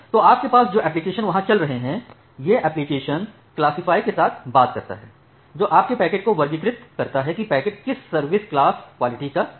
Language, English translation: Hindi, So, you have the applications which are running there, that application talks with the classifier, that classifies your packet what type of quality of service classes that packets belongs to